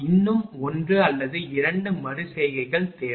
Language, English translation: Tamil, Still one or 2 iteration required